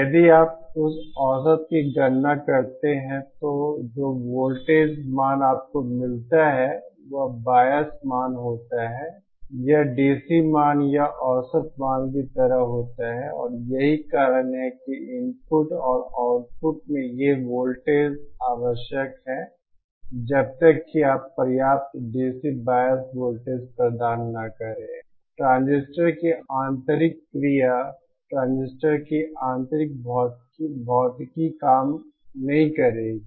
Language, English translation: Hindi, If you compute that average then the voltage value that you get is the bias value it is like the DC value or the average value and the reason why these voltages are necessary at the input and output is because unless you provide sufficient DC bias voltage, the transistor, the internal action, the internal physics of the transistor would not work